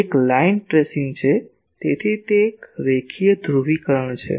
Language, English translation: Gujarati, It is tracing a line; so, it is a linear polarisation